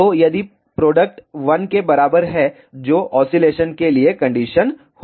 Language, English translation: Hindi, So, if the product is equal to 1 that will be the condition for the oscillation